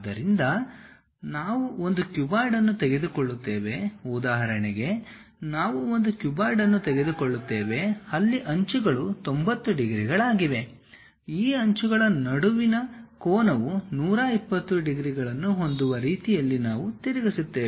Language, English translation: Kannada, So, we take a cuboid, for example, we take a cuboid, where edges are 90 degrees; we orient in such a way that the angle between these edges makes 120 degrees